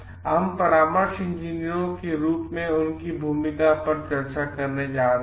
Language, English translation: Hindi, We are going to discuss the role their role as consulting engineers